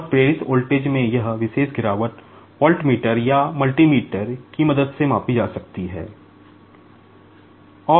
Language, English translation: Hindi, And, this particular drop in induced voltage can be measure with the help of voltmeter or multimeter